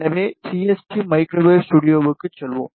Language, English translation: Tamil, So, let us go to the CST microwave studio